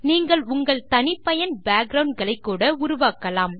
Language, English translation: Tamil, You can even create your own custom backgrounds